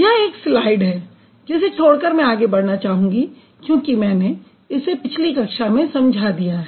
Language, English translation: Hindi, So, this is another slide I would like to skip because I have already discussed it in the previous class